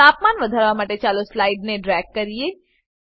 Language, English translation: Gujarati, Let us drag the slider to increase the temperature